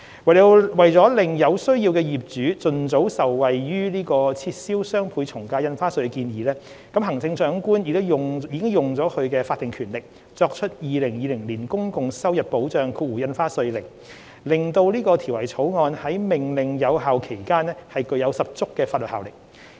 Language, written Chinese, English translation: Cantonese, 為了使有需要的業主盡早受惠於撤銷雙倍從價印花稅的建議，行政長官已行使法定權力作出《2020年公共收入保障令》，使《條例草案》於《命令》有效期間具有十足法律效力。, To allow the property owners in need to benefit from the proposed abolition of DSD as soon as possible the Chief Executive has made the Public Revenue Protection Stamp Duty Order 2020 the Order by exercising her statutory powers to give full force and effect of law to the Bill so long as the Order remains in force